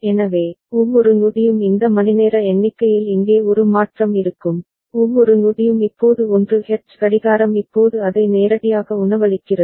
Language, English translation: Tamil, So, every one second there will be a change here in this hour count ok, every one second because now 1hertz clock is now feeding it directly